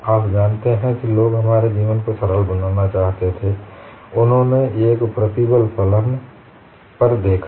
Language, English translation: Hindi, You know people wanted to make our life simple; they have looked at a stress function approach